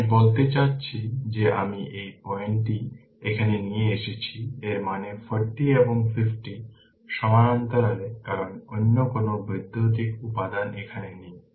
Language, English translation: Bengali, I mean what i did i bring this point bring this point here right; that means, 40 and 50 in parallel because no other electrical element is here